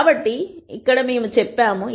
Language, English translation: Telugu, So, this is what we have said